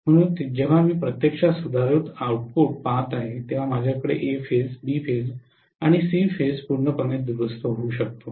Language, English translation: Marathi, So when I am actually looking at a rectifier output I may have A phase, B phase and C phase rectified completely right